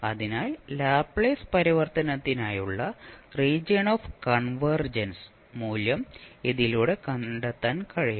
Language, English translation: Malayalam, So with this you can find out the value of the region of convergence for Laplace transform